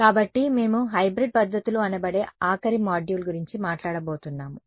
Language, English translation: Telugu, So, the final module that we are going to talk about are what are called Hybrid methods ok